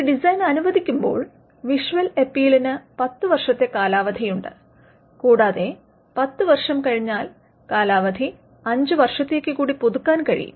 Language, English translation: Malayalam, When granted a design, which is has a visual appeal has a 10 year term and the 10 year term can be renewed to a further 5 year term